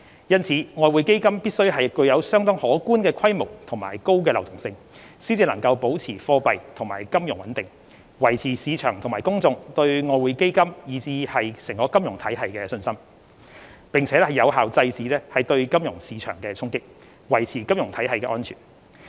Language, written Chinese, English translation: Cantonese, 因此，外匯基金必須具有相當可觀的規模及高流動性，才能保持貨幣和金融穩定，維持市場和公眾對外匯基金以至金融體系的信心，並有效制止對金融市場的衝擊，維持金融體系的安全。, Therefore we must have a considerably sizable EF with a high level of liquidity to maintain monetary and financial stability maintain the confidence of the market and the public in EF and the financial system and combat shocks to or attacks on the financial market effectively thereby safeguarding the stability of the financial system